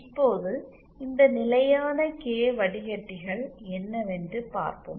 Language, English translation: Tamil, Now, let us see what is this constant K filters